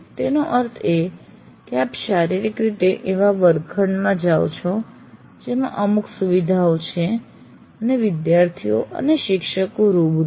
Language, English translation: Gujarati, That means you go into a physically a classroom which has certain facilities and the students and teachers are face to face